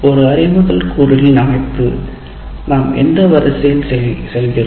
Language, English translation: Tamil, Now, let us look at this structure of an instructional component in what sequence do we go